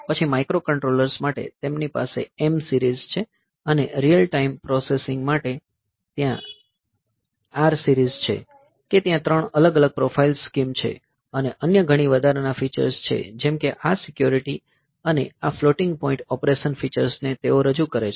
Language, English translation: Gujarati, So, then for the microcontrollers they have M series and for real time processing there R series, that there are three different profile scheme, and many other additional features, like say this security and these floating point operation features they got introduced